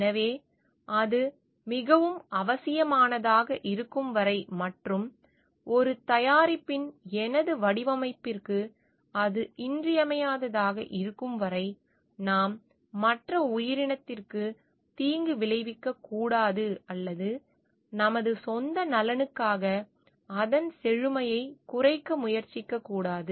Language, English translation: Tamil, So, until and unless it is like extremely necessary and it is vital for my design of a product, then we should not provide harm to the other entity or try to reduce its richness for materialistic benefits for our own self